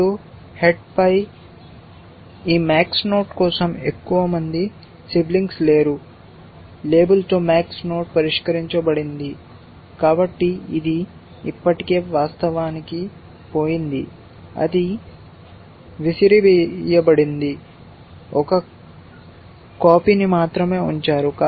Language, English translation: Telugu, Now, there are no more siblings left for this max node at the head is the max node with the label solved so, this is already gone away actually, it is been thrown away, only one copy is been kept it is